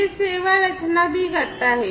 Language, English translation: Hindi, It also does service composition